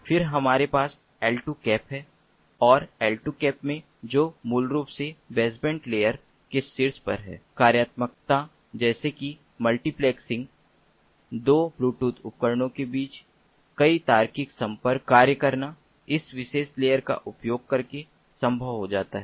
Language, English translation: Hindi, then we have the l two cap and in the l two cap, which basically is on top of the baseband layer, functionalities such as multiplexing multiple logical connections between two bluetooth devices is functioned, is made possible in this using this particular layer